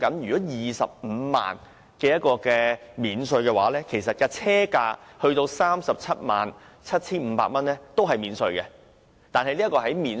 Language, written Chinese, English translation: Cantonese, 以 250,000 元的稅務寬減計算，車價不高於 377,500 元的電動車是免稅的。, If computation is done on the basis of the 250,000 tax concession an EV below 377,500 is tax - free